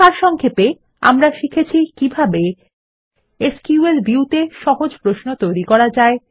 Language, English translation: Bengali, In this tutorial, we will learn how to Create Simple Queries in SQL View, Write simple SQL